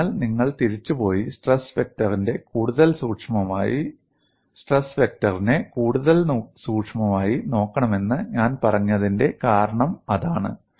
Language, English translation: Malayalam, So, that is the reason why I said you have to go back and look at stress vector more closely